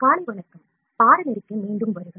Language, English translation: Tamil, Good morning, welcome back to the course